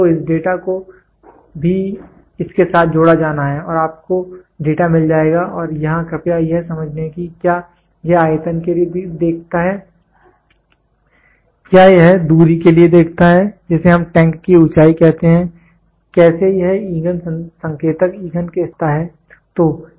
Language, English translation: Hindi, So, this data has also to be linked with this and you will have go get the data and here please understand it does it look for volume, does it look for distance that we used to say height of the tank what how does this fuel indicator measure the level of a fuel